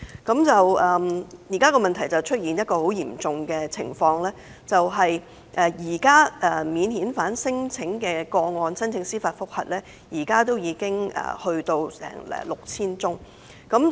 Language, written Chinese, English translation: Cantonese, 現時已出現一種很嚴重的情況，就是免遣返聲請個案的司法覆核申請已經高達 6,000 宗。, Indeed the prevailing situation is worrying as the number of applications for judicial review involving non - refoulement claims has risen to 6 000